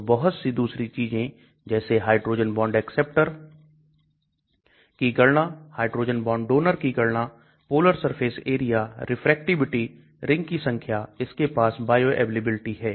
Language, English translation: Hindi, So many other things hydrogen bond acceptor count, hydrogen bond donor count, polar surface area, refractivity, number of rings it has got, bioavailability